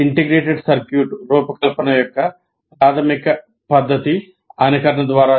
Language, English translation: Telugu, So the main method of designing an integrated circuit is through simulation